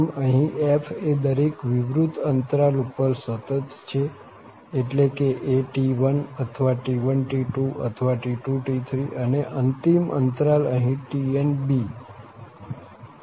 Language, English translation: Gujarati, So, now the f is continuous on each open subinterval that means a to t1 or t1 to t2, t2 to t3 and we have the last interval here, this is tn to b